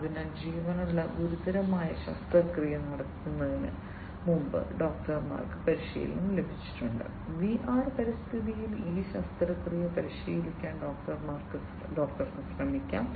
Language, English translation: Malayalam, So, doctors are trained before actually performing a life critical surgery, the doctor can try to practice that surgery in the VR environment